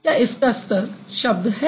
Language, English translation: Hindi, Does it have a word status